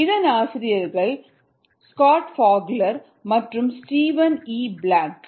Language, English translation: Tamil, the authors are scott fogler and steven e leblanc